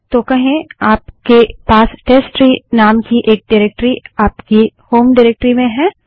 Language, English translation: Hindi, So say you have a directory with name testtree in your home directory